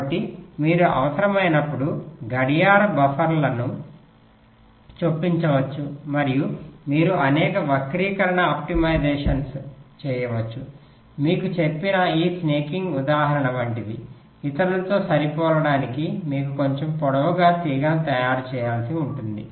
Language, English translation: Telugu, ok, so after you do this, so you can insert the clock buffers whenever required and you can carry out several skew optimization, like that snaking example lie we told you about, you may have to make a wire slightly longer to match with the others